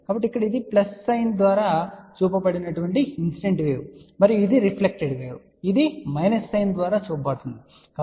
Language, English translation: Telugu, So, here we can say that this is the incident wave which is shown by the sign plus and this is the reflected wave which is shown by a sign minus, ok